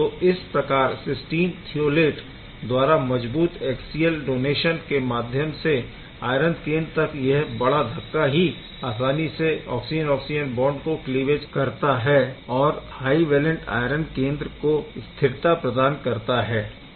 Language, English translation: Hindi, So, the cysteine thiolate provides strong axial donation to the iron center referred to as big push and therefore, facilitates the oxygen oxygen cleavage and stabilizes high valent iron center